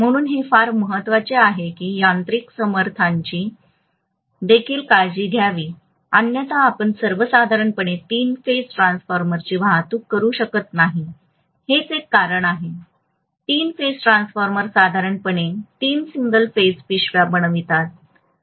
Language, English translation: Marathi, So it is very important that the mechanical strength is also taken care of otherwise you would not be able to transport normally the three phase transformer, that is one reason why, three phase transformers are normally made up of three single phase bags